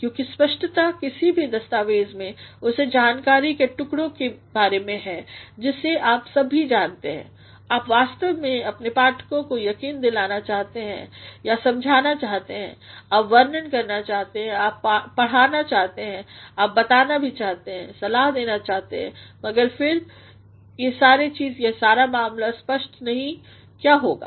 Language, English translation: Hindi, Because clarity in any document clarity about the piece of information all you know that you actually want to convince your readers or you want to explain, you want to describe, you want to instruct, you also want to tell, advise whatsoever, but then if the entire matter is not clear what will happen